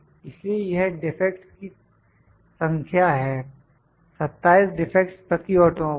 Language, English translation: Hindi, So, these are the number of defects, 27 defects per automobile